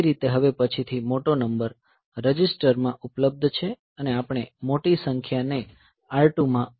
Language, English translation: Gujarati, So, that way, so the next number the larger number is now available in a register and we move the larger number to R 2 move R 2 comma A